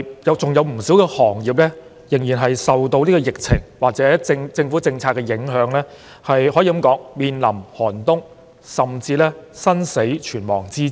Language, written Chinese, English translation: Cantonese, 有不少行業受到疫情或政府政策的影響，可以說是面臨寒冬，甚至是生死存亡之秋。, Due to the epidemic or government policies many industries are having a tough time or are even on the verge of closure